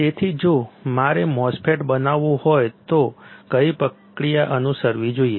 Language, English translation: Gujarati, So, if I want to fabricate a MOSFET what should be the process followed